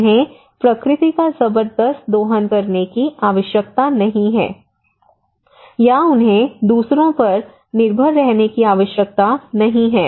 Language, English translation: Hindi, They do not need to exploit the nature at tremendously or do not need to depend on others okay